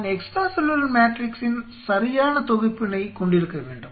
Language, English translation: Tamil, I should have the right set of extra cellular matrix